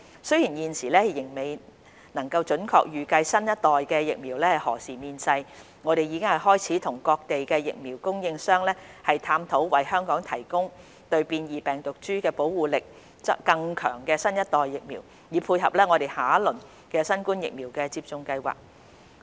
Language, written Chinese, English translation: Cantonese, 雖然現時仍未能準確預計新一代疫苗何時面世，我們已開始與各地疫苗供應商探討為香港提供對變異病毒株保護力更強的新一代疫苗，以配合我們下一輪新冠疫苗的接種計劃。, Although we cannot predict with certainty when the next generation vaccines will be available we have started to discuss with vaccine manufacturers from various places to provide Hong Kong with the next generation vaccines with stronger protection powers against mutant virus strains with a view to supporting our next phase of the COVID - 19 vaccination programme